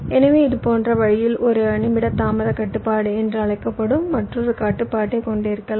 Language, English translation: Tamil, so in a similar way you can have another constraint that is called a min delay constraint